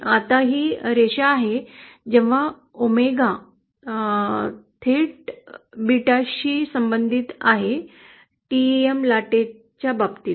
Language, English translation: Marathi, Now this is the line for when omega is directly proportional to beta as in the case of TEM wave